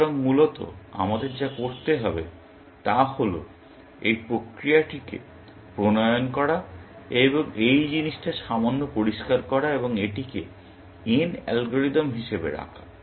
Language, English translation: Bengali, So, basically, what we need to do is to formulize this process, and sort of make this little bit clearer and put it down as n algorithm